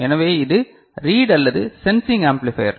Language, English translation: Tamil, So, this is the read or sensing amplifier